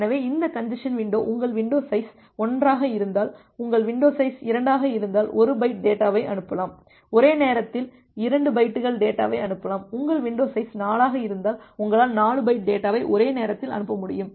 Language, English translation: Tamil, So, this congestion window keeps a indication that well if your window size is 1 so, you can send 1 byte of data if your window size is 2, you can send 2 bytes of data simultaneously, if your window size is 4, you can send 4 bytes of data simultaneously